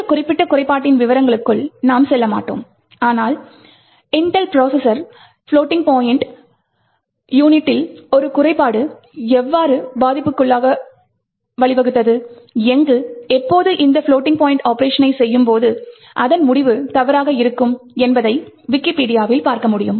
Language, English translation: Tamil, I would not go to into the details of this particular flaw, but you could actually look it up on Wikipedia and so on to see a roughly in the mid 90s, how a flaw in the floating point unit of Intel processors had led to a vulnerability where, when you do a floating point operation, the result would be incorrect